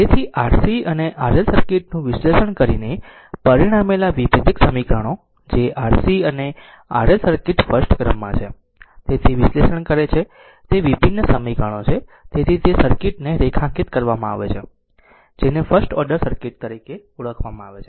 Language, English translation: Gujarati, So, the differential equations resulting from analyzing R C and R L circuit, that is your the differential equation resulting analyzing that R C and R L circuits are of the first order right hence it is underlined the circuits are known as first order circuits